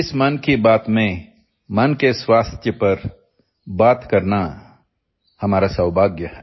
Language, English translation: Hindi, It is our privilege to talk about mental health in this Mann Ki Baat